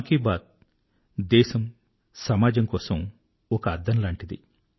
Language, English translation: Telugu, 'Mann Ki Baat'is like a mirror to the country & our society